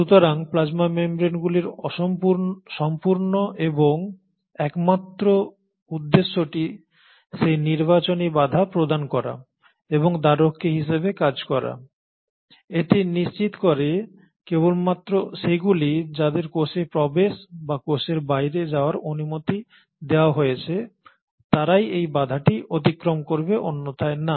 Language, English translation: Bengali, So the whole and sole purpose of the plasma membrane is to provide that selective barrier and act as a gatekeeper, it will make sure that only what is allowed to move in or what is allowed to move outside of a cell goes through this barrier, otherwise no